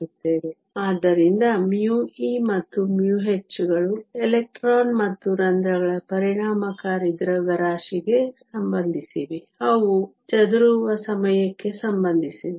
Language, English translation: Kannada, So, mu e and mu h are related to the effective mass of the electrons and holes, and they are also related to the scattering time